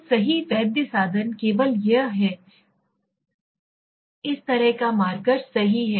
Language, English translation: Hindi, So the right valid instrument is only this, this kind of marker right